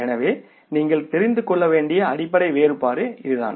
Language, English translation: Tamil, So, this is a basic difference you have to know